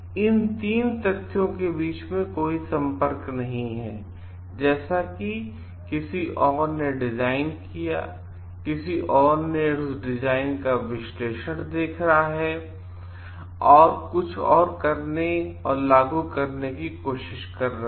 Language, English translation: Hindi, So, there is like no connectivity between these 3 facts as the someone else is as, there is no connectivity between these 3 facts as someone else has designed and somebody else is looking at that design and try to do something and implement